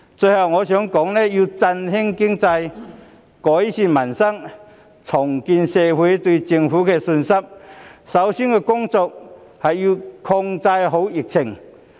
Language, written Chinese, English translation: Cantonese, 最後，我想說的是，要振興經濟、改善民生、重建社會對政府的信心，首要工作是要控制好疫情。, Last but not least I want to say that controlling the epidemic is the primary task to revitalize the economy improve peoples livelihood and rebuild public confidence in the Government